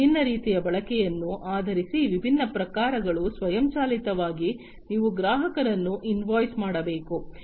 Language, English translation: Kannada, And different types of you know based on the different types of usage, you have to automatically you have to invoice the customers